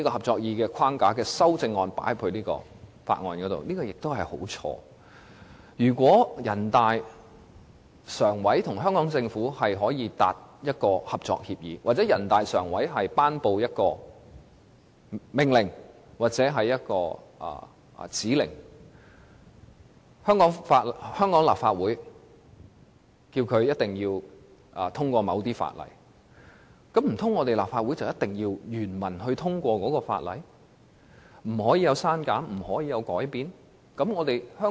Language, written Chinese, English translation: Cantonese, 這做法實在大錯特錯，如果人大常委會與香港政府達成合作協議，或人大常委會頒布命令或指令香港立法會通過某些法例，難道立法會就必須原文通過這些法例，不能作出刪減或修改嗎？, It is terribly wrong . Should a cooperation agreement be reached between NPCSC and the Hong Kong Government or an order or instruction be issued by NPCSC for the Legislative Council of Hong Kong to pass certain legislation does it mean that the Legislative Council must pass the legislation in its entirety without any deletion or amendment?